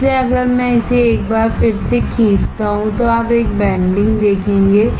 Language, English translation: Hindi, So, if I draw it once again see you will see a bending